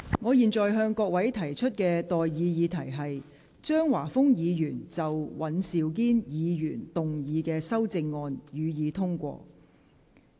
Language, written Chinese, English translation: Cantonese, 我現在向各位提出的待議議題是：張華峰議員就尹兆堅議員議案動議的修正案，予以通過。, I now propose the question to you and that is That the amendment moved by Mr Christopher CHEUNG to Mr Andrew WANs motion be passed